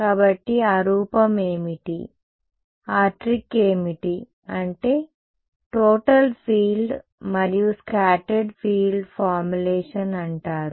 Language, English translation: Telugu, So, what is that form what is that trick is what is called the total field and scattered field formulation right